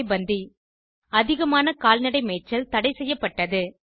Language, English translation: Tamil, CharaiBandi Overgrazing of cattle was banned